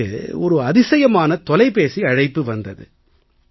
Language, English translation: Tamil, I have received an incredible phone call